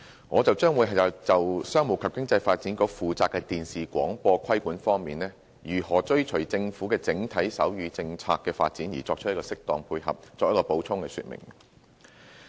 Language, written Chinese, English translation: Cantonese, 我將會就商務及經濟發展局負責的電視廣播規管方面，如何追隨政府的整體手語政策的發展而作出適當配合，作補充說明。, On my part I will focus on the area of television broadcasting regulation under the purview of the Commerce and Economic Development Bureau and provide additional information on what appropriate actions we will take in order to dovetail with the Governments overall policy of sign language development